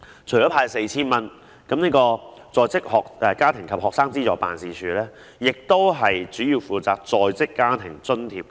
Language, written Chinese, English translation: Cantonese, 除了派發 4,000 元外，在職家庭及學生資助事務處主要負責在職家庭津貼計劃。, In addition to the disbursement of 4,000 the Working Family and Student Financial Assistance Office is mainly responsible for the Working Family Allowance Scheme WFAS